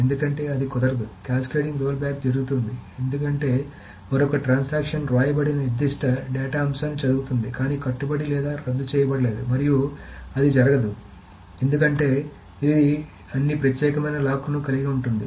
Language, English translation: Telugu, So the cascading rollback happens because another transaction reads a particular data item that has been written but not committed or about it and that cannot happen because it holds all the exclusive locks